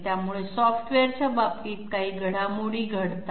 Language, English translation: Marathi, So in that case there are certain developments in case of software